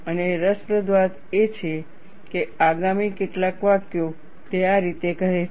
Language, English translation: Gujarati, And what is interesting is, the next few sentences, it says like this